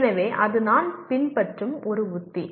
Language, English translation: Tamil, So that is a strategy that I follow